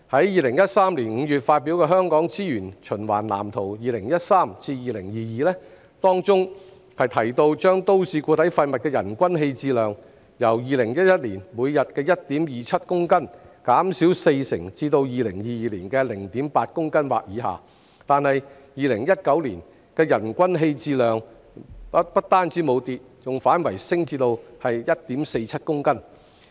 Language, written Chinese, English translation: Cantonese, 2013年5月發表的《香港資源循環藍圖 2013-2022》提到將都市固體廢物人均棄置量由2011年每日 1.27 公斤減少四成至2022年的 0.8 公斤或以下，但是 ，2019 年的人均棄置量不單沒有下跌，更反升至 1.47 公斤。, Although the Hong Kong Blueprint for Sustainable Use of Resources 2013 - 2022 published in May 2013 mentioned that the per capita MSW disposal rate would be reduced by 40 % from 1.27 kg per day in 2011 to 0.8 kg or less in 2022 the per capita disposal rate in 2019 rose to 1.47 kg instead of going down